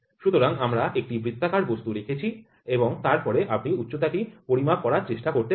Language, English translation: Bengali, So, we put a circular one and then you can try to measure the height